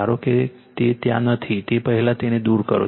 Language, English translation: Gujarati, Suppose it is not there, first you remove it